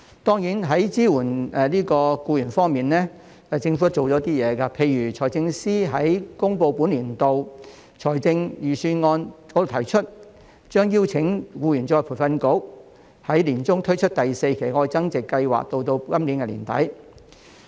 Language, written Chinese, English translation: Cantonese, 當然在支援僱員方面，政府曾推出一些措施，例如財政司司長在公布本年度財政預算案時提出，將邀請僱員再培訓局在年中推出第四期"特別.愛增值"計劃至今年年底。, Certainly as far as employee support is concerned the Government has introduced some measures . For example the Financial Secretary announced in this years Budget speech that the Government will ask the Employees Retraining Board to launch the fourth tranche of the Love Upgrading Special Scheme in the middle of this year which will last until the end of this year